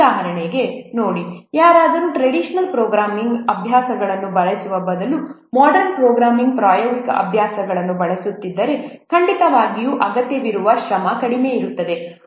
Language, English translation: Kannada, See for example if somebody is using modern programming practices rather than using the traditional programming practices, then definitely the effort required will be less